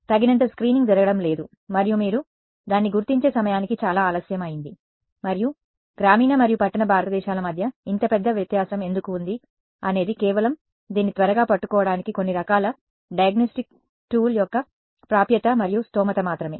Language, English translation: Telugu, There is not enough screening that is happening and by the time you detect it many times it is too late right and why is there such a big difference between the rural and urban India is simply access and affordability of some kind of diagnostic tool that can tell catch this early on ok